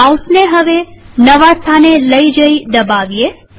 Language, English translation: Gujarati, Move the mouse to the new location and click